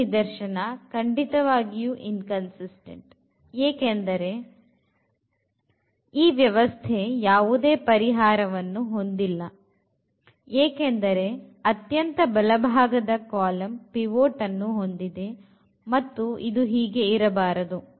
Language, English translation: Kannada, So, which is which is the case exactly of the inconsistency or the system has no solution because this rightmost column has a pivot, this should not happen that